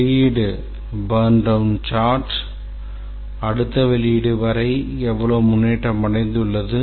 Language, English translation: Tamil, Release burn down chart, how much progress has been achieved till the next release